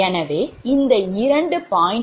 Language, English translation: Tamil, so basically, this is two